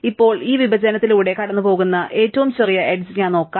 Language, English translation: Malayalam, Now, let me look at the smallest edge which goes across this partition